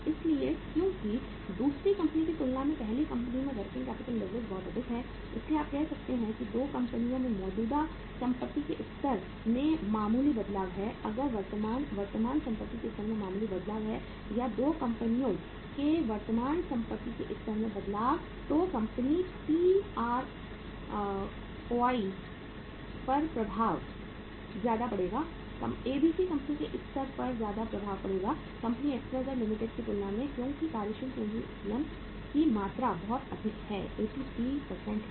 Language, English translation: Hindi, So because the working capital leverage is very high in the first company as compared to the second company so you can say that a minor change in the level of current assets in the 2 companies if there is a minor change in the level of current or any change in the level of current assets in the 2 companies ROI in the company A will be affected at a much higher level as compared to the at a much higher say level in company ABC as compared to XYZ Limited because of the magnitude of the working capital leverage being very high that is 83%